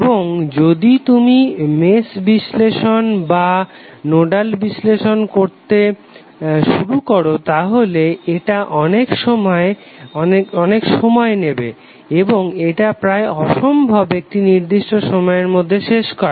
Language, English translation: Bengali, And if you start doing the mesh analysis or nodal analysis it will take a lot of time and it will be almost impossible to do it in a reasonable time frame